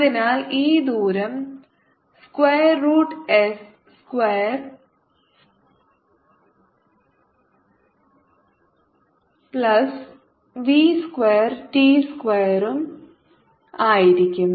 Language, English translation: Malayalam, so this distance will be square root, s square plus v square t square